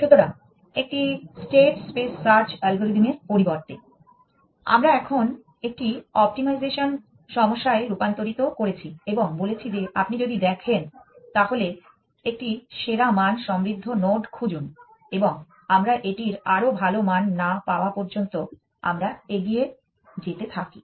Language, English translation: Bengali, So, instead of a state space search algorithm, we have now converted into an optimization problem and said find the node with a best value rich if you see and we keep moving forward till we find the better value of this